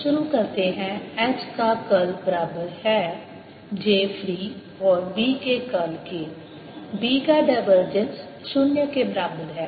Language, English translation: Hindi, curl of h is equal to j free and curl of b, divergence of b, is equal to zero